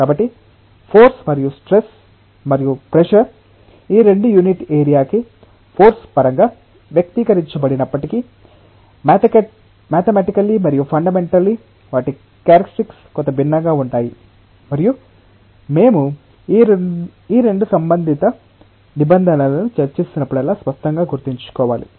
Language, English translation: Telugu, So, you can see that although force and stress and pressure both are expressed in terms of force per unit area, mathematically and fundamentally their characteristics are somewhat different and that we have to clearly remember whenever we are discussing about these 2 related terms